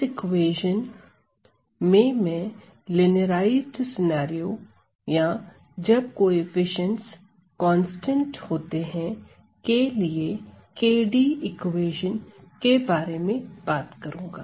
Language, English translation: Hindi, So, in this equation, I am going to talk about KdV equations for the linearized scenario or when the coefficients are held constant